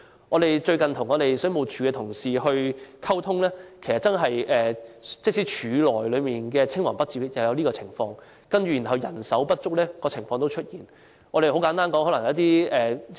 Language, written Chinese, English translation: Cantonese, 我們最近與水務署同事溝通，其實署內也有青黃不接的情況，人手不足的情況亦同樣出現。, While we communicated with the WSD staff recently we have learnt that they are faced with a succession problem as well as a problem of manpower shortage